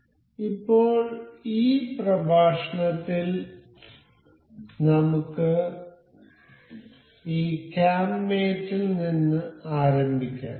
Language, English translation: Malayalam, So, now, in this lecture we will start with this cam mate